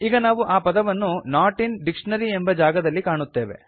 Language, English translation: Kannada, So we see the word in the Not in dictionary field